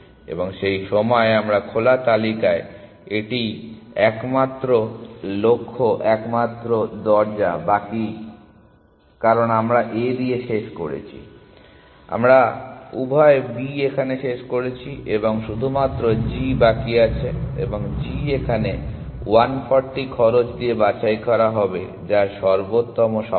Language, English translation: Bengali, And at that time this is the only goal only door left in our open list because we have finished with A, we have finished with B both and only g is left and g will be picked with the cost of 140 which is the optimal solution